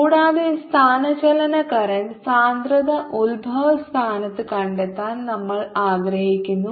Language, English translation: Malayalam, and we want to find the ah displacement current, density at the origin